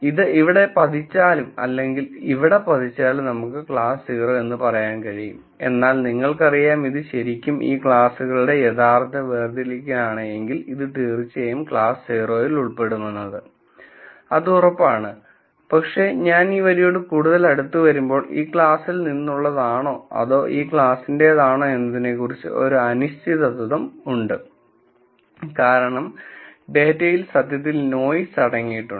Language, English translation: Malayalam, So, whether it falls here, or it falls here we are going to say class 0, but intuitively you know that if this is really a true separation of these classes, then this is for sure going to belong to class 0, but as I go closer and closer to this line there is this uncertainty about, whether it belongs to this class, or this class because data is inherently noisy